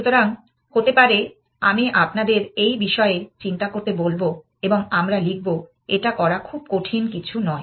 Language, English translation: Bengali, So, maybe I will ask you to think about this and we will write it is not a very difficult thing to do